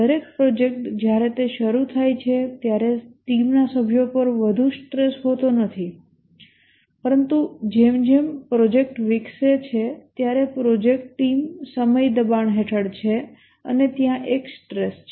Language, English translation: Gujarati, Every project when it starts, there is not much stress on the team members, but as the project develops, the project team is under time pressure and there is a stress